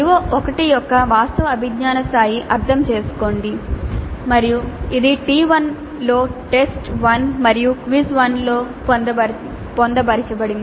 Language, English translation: Telugu, You can see CO1, the actual cognitive level of CO1 is understand and that is being covered in T1 that is test one and quiz one